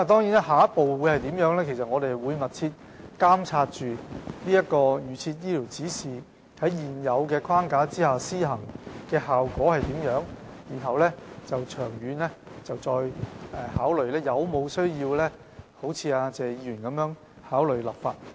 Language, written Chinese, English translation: Cantonese, 至於下一步應如何處理，我們會密切監察預設醫療指示在現有框架下的施行效果，看看長遠是否有需要如謝議員所說般考慮立法。, As for the way forward we will monitor closely the effect of the implementation of the guidelines on advance directives under the existing framework and examine whether it is necessary to consider enacting legislation on this as Mr TSE has suggested